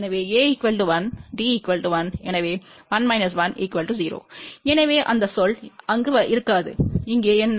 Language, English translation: Tamil, So, A is 1, D is 1, so 1 minus 1, 0 so that term will not be there